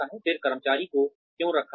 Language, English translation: Hindi, Then, why should the employee be kept